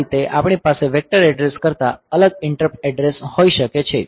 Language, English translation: Gujarati, So, that way we can have different interrupt addresses the vector addresses